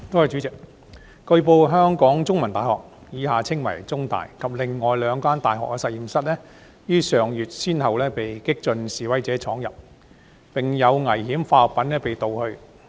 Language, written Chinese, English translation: Cantonese, 主席，據報，香港中文大學及另兩間大學的實驗室於上月先後被激進示威者闖入，並有危險化學品被盜去。, President it has been reported that the laboratories of the Chinese University of Hong Kong CUHK and two other universities were intruded into one after the other by radical demonstrators last month and some dangerous chemicals therein were stolen